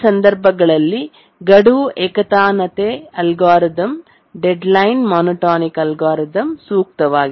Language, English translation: Kannada, For these cases, the deadline monotonic algorithm is the optimal